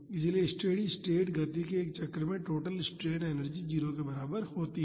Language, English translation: Hindi, So, the total strain energy in one cycle of the steady state motion is equal to 0